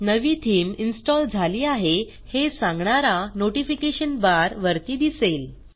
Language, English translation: Marathi, A Notification bar will appear at the top to alert you that a new theme is installed